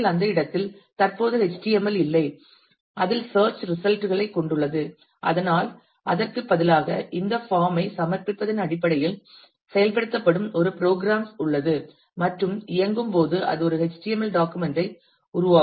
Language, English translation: Tamil, Then actually at that location there is no HTML currently existing which contains the search result, but instead there is a program which will be executed based on the submission of this form and when run that will generate a HTML document